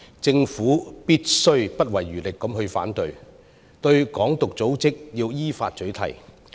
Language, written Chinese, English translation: Cantonese, 政府必須不遺餘力地反對、依法取締"港獨"組織。, The Government should spare no effort to oppose and ban in accordance with the law organizations which advocate Hong Kong independence